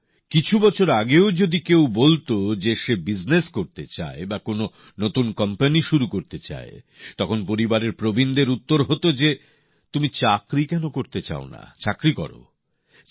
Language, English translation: Bengali, a few years back if someone used to say that he wants to do business or wants to start a new company, then, the elders of the family used to answer that "Why don't you want to do a job, have a job bhai